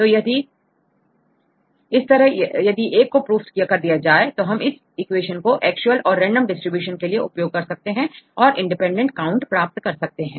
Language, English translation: Hindi, So, in this if you prove this one then we can use this particular equation to see because the actual and the random distribution and you get the independent counts